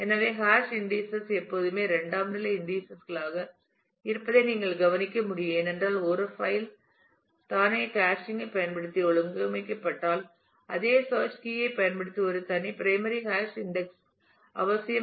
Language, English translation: Tamil, So, but the you can note that the hash indices are always kind of secondary indices because if a file itself is organized using hashing; then a separate primary hash index on it using the same search keys are necessary